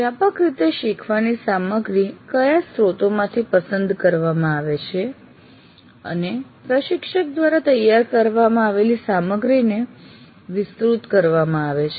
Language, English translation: Gujarati, So learning material either it is chosen from a source or supplemented by material prepared by the instructor